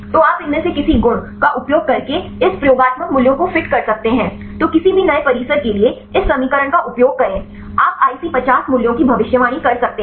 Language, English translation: Hindi, So, you can fit this experimental values using any of these properties, then use this equation for any new compound, you can predict the IC50 values